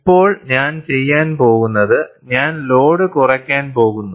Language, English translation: Malayalam, Now, what I am going to do is, I am going to reduce the load